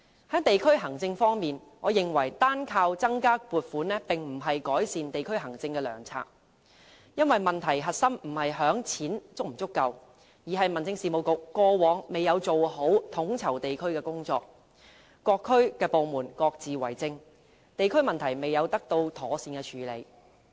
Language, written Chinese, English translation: Cantonese, 在地區行政方面，我認為單靠增加撥款並不是改善地區行政的良策，因為問題核心不在於是否有足夠的錢，而是民政事務局過往未有做好地區統籌的工作，各區部門各自為政，地區問題未有得到妥善處理。, As for district administration I consider the mere increase in funding provision not a satisfactory approach for enhancing district administration for the crux of the problem lies not in the shortage of funds . The problem should be attributed to the Home Affairs Bureaus unsatisfactory performance in coordinating district work where departments of various districts each acts in its own way and problems in districts have not been properly addressed